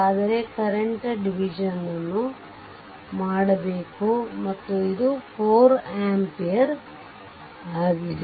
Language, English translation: Kannada, But we will go for current division and this is 4 ampere